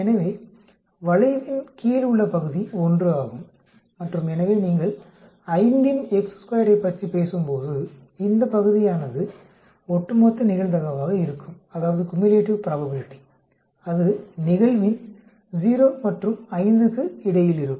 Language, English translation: Tamil, So the area under the curve is 1 and so when you are talking about say chi square of 5 then this area will be the cumulative probability that is between 0 and 5 of the occurrence